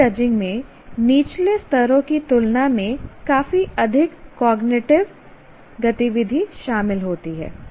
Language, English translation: Hindi, So skill judging involves considerably more cognitive activity than the lower levels